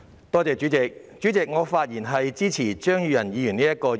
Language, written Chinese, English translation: Cantonese, 代理主席，我發言支持張宇人議員動議的議案。, Deputy President I rise to speak in support of the motion moved by Mr Tommy CHEUNG